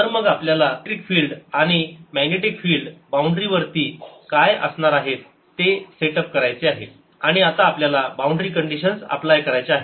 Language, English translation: Marathi, so we have set up what the electric field and magnetic fields are at the boundary and now we need to apply the conditions